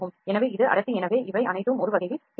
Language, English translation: Tamil, So, this is density so these are all pixels in a way